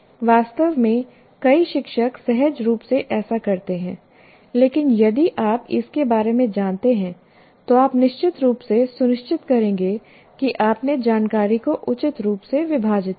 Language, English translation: Hindi, Actually, many teachers do that intuitively, but if you are aware of it, you will definitely make sure that you change the information appropriately